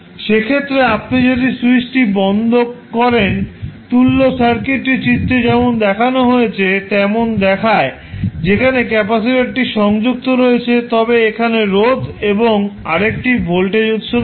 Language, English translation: Bengali, So, what will happen in that case if you close the switch the equivalent circuit will look like as shown in the figure where you have a capacitor connected then you have the resistance and again one voltage source